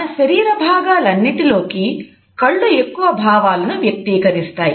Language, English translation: Telugu, Eyes are the most expressive part of our body